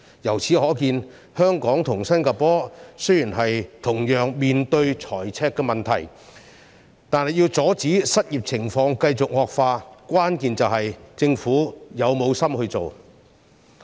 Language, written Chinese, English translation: Cantonese, 由此可見，香港與新加坡雖然同樣面對財赤問題，但要阻止失業情況繼續惡化，關鍵在於政府是否有心處理。, It is evident that though Hong Kong and Singapore are both facing the same problem of fiscal deficit the key to prevent the further worsening of unemployment lies in whether the government is determined to tackle it